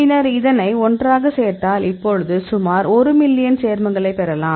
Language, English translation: Tamil, Then we add up together, now we will get about 1 million compounds; then what we did